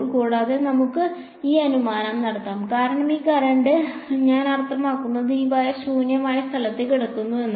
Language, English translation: Malayalam, And, and we can make this assumption because this this current I mean this wire is lying in free space